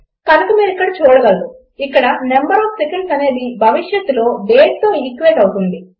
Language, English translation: Telugu, So you can see it here I think the number of seconds in here equates to a date in the future